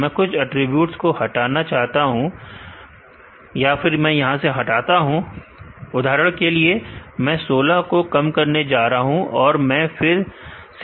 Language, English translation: Hindi, Let me remove some of the attributes for example, I am going to be reduce 16 I am going to run the model again